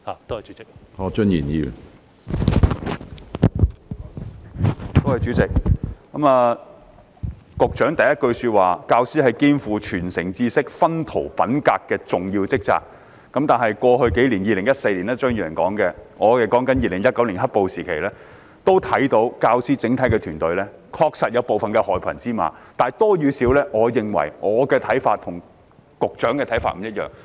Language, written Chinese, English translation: Cantonese, 主席，局長在主體答覆的第一句說："教師肩負傳承知識、熏陶品格的重要職責"，但在過去數年——張宇人議員說的是2014年，我則是說2019年的"黑暴"時期——我們看到整個教師團隊確實有部分害群之馬，至於多與少，我認為我的看法和局長的看法不一致。, President the Secretary said in the first sentence of the main reply that teachers play a vital role in passing on knowledge and nurturing students character . But in the past few years―Mr Tommy CHEUNG talked about 2014 and I am talking about the period of black - clad violence in 2019―we can see that there are indeed some black sheep in the teaching profession . But then as to their number I think my view differs from the Secretarys